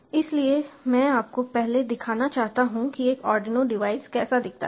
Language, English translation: Hindi, so i would like to show you first how a arduino device looks like